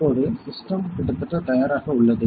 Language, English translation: Tamil, So, now the system is almost ready